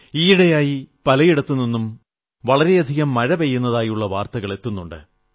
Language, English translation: Malayalam, Of late, News of abundant rainfall has been steadily coming in